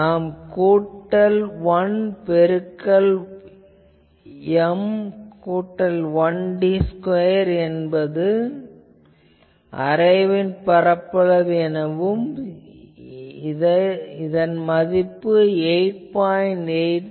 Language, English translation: Tamil, Now, we can say that N plus 1 into M plus 1 into d square that is the area of the whole array, so 8